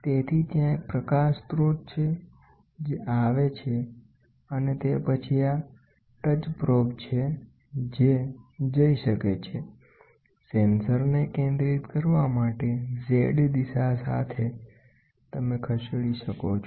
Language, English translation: Gujarati, So, there is a light source which comes and then this is the touch probe, which can go, the sensor heads with the Z direction for focusing you can move